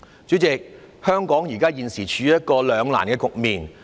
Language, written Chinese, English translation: Cantonese, 主席，香港現時處於一個兩難局面。, President at present Hong Kong is stuck between a rock and a hard place